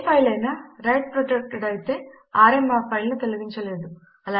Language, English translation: Telugu, Sometimes a file is write protected,using rm will not delete the file then